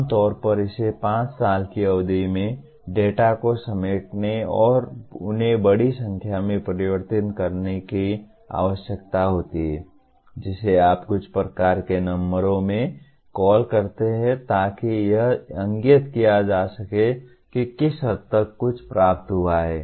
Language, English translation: Hindi, Generally it requires collating the data over a period of 5 years and converting them into a large number of what do you call the into some kind of numbers to indicate that to what extent something has been attained